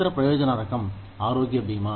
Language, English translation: Telugu, The other type of benefit is health insurance